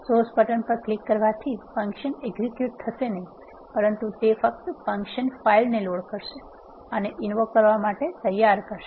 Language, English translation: Gujarati, Clicking the source button will not execute the function; it will only load the function file and make it ready for invoking